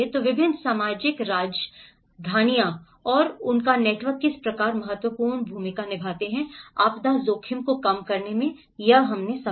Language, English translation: Hindi, So, how different social capitals and its network play an important role in reducing the disaster risk